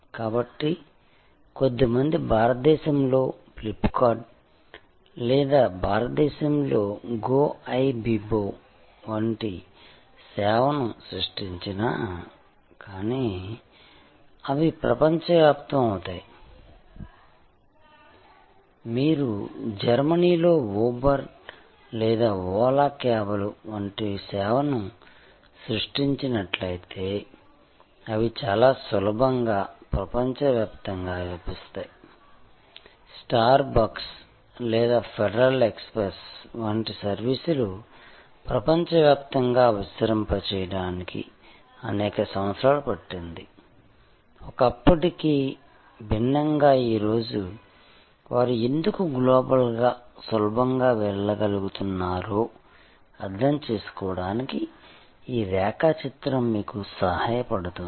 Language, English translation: Telugu, So, few create a service like FlipKart in India or Goibibo in India, they will go global, if you create a service like Uber in Germany or Ola cabs, they can very easily go global, this diagram will help you to understand that why they can global go global so easily today as opposed to yester years, when services like star bucks or federal express to yours to expand across the globe